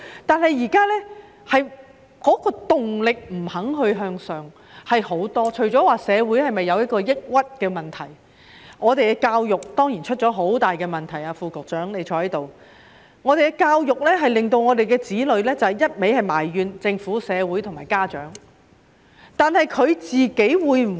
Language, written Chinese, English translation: Cantonese, 但是，現在很多人欠缺向上的動力，究其原因，除了社會出現抑鬱的問題，我們的教育當然也出現很大問題——我看到副局長在席——香港的教育令我們的子女只懂得埋怨政府、社會和家長。, However many people now lack the incentive to move upward . Apart from the atmosphere of depression prevailing in society another cause is certainly the serious problem in education―I see that the Under Secretary is present―education in Hong Kong has made our children put all the blame on the Government society and parents